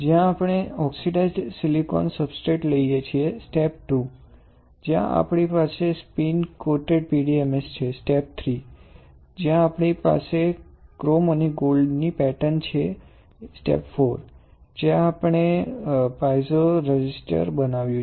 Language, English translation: Gujarati, So, if you see the slide what we are seeing is, the step I where we take oxidized silicon substrate; step II where we have spin coated PDMS, step III where we have the form of the pattern of chrome and gold, and step IV where we have formed the piezo resistor